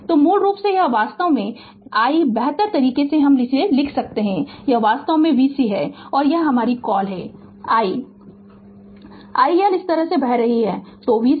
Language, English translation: Hindi, So, basically this is actually I can write in better way this is actually v C and it is your what you call this current i your I L is flowing to this